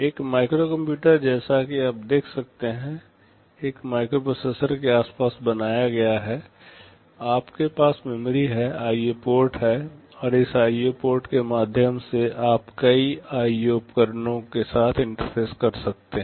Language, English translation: Hindi, A microcomputer as you can see is built around a microprocessor, you have memory, you are IO ports and through this IO ports you can interface with several IO devices